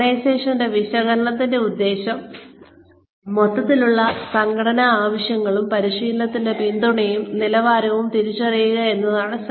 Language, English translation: Malayalam, The purpose of organization analysis, is to identify both overall organizational needs and the level of support of training